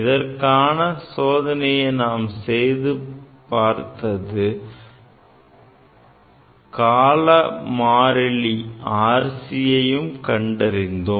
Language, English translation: Tamil, This experiment we have demonstrated and experimentally one can find out time constant that is RC